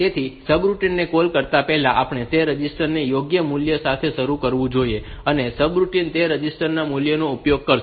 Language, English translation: Gujarati, So, the so, this before calling the subroutine we should initialize that register with the proper value, and subroutine will use that register value